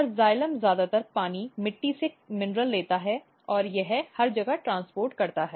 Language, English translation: Hindi, And xylem what it does it takes mostly water, minerals from the soil and it transport everywhere